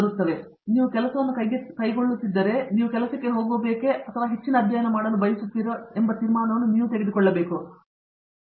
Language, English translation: Kannada, Now, so you take this decision that you are grappling with now, whether you want to go for a job or a higher studies, you take that decision